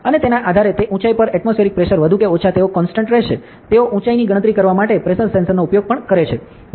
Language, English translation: Gujarati, And based this since the atmospheric pressure at that height will be more or less they constant, they even use a pressure sensor to calculate the altitude, ok